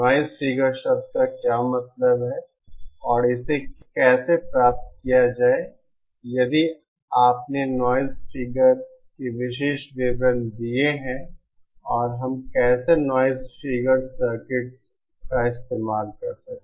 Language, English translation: Hindi, What does the term, noise figure mean and how to achieve if you have given noise figure specifications and how we can achieve that using noise figure circuits